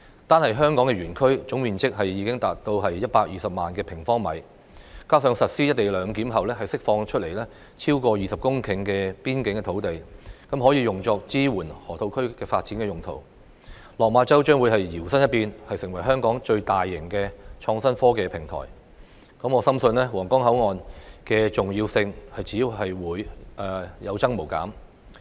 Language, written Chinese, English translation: Cantonese, 單是香港園區的總樓面面積已達120萬平方米，加上實施"一地兩檢"後釋放出來超過20公頃的邊境土地，可以用作支援河套區發展用途，落馬洲將會搖身一變，成為香港最大型的創新科技平台，我深信皇崗口岸的重要性只會有增無減。, HSITP alone already reaches 1.2 million sq m in gross floor area . Together with the over 20 hectares of boundary land released upon implementation of co - location arrangement it can be used to support the development of the Lok Ma Chau Loop . Lok Ma Chau will be transformed into the largest innovation and technology platform in Hong Kong